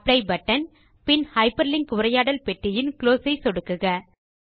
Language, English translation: Tamil, Click on the Apply button and then click on the Close button in the Hyperlink dialog box